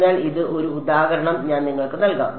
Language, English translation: Malayalam, So, let me give you an example this is a